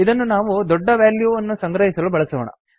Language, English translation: Kannada, Let us use it to store a large value